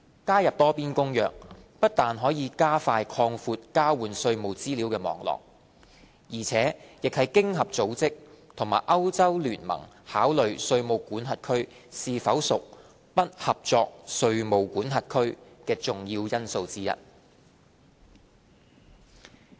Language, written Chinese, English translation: Cantonese, 加入《多邊公約》不但可加快擴闊交換稅務資料的網絡，而且亦是經合組織和歐洲聯盟考慮稅務管轄區是否屬"不合作稅務管轄區"的重要因素之一。, Participation in the Multilateral Convention is not only a catalyst to expand the network of tax information exchanges quickly but also a key element when OECD and the European Union EU consider whether a tax jurisdiction is non - cooperative